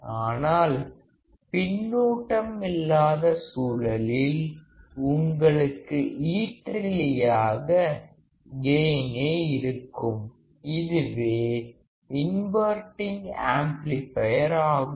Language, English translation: Tamil, But in case of no feedback you will have infinite gain, this is the inverting amplifier